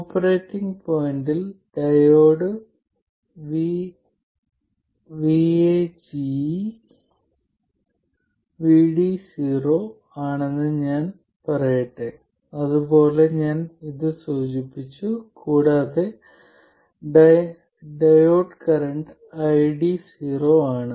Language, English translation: Malayalam, And let me say that at the operating point the diode voltage is VD 0, I denoted like this and the diode current is ID 0